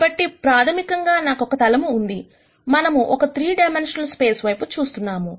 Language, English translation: Telugu, Since I have a plane basically we are looking at a 3 dimensional space